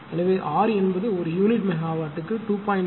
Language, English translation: Tamil, 4 hertz per unit megawatt this is R